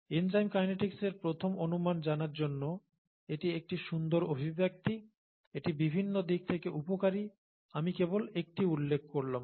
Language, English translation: Bengali, So this is a nice expression to know, the first approximation to know for enzyme kinetics, and it is useful in many different ways, I just mentioned one